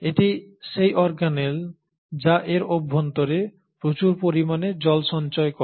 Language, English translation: Bengali, It is this organelle which ends up storing a whole lot of water in its inner content